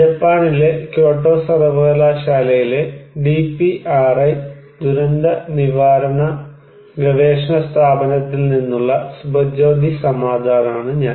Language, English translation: Malayalam, I am Subhajyoti Samaddar from the DPRI Disaster Prevention Research Institute, Kyoto University, Japan